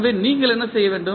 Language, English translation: Tamil, So, what you need to do